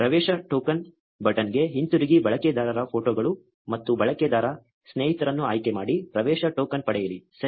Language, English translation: Kannada, Go back to the get access token button select user photos and user friends, get access token, ok